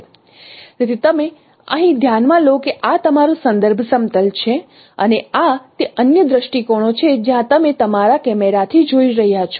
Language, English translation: Gujarati, So you consider here that this is your reference plane and these are the other views from where you are looking at from your camera